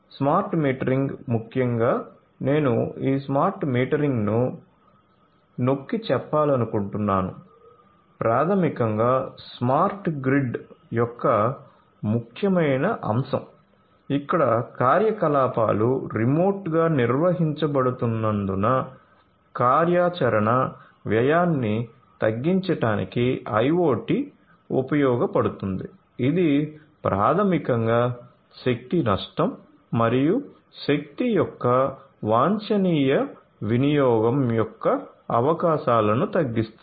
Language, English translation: Telugu, Concepts for smart metering building automation are also quite popular, smart metering particularly I would like to emphasize this smart metering basically is an important element of smart grid, where IoT is used to reduce the operational cost as the operations are remotely managed; this basically reduces the chances of energy loss and optimum use of energy